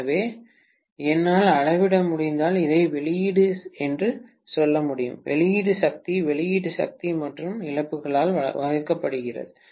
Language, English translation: Tamil, So, I can say this as output if I am able to measure, output power divided by output power plus losses, right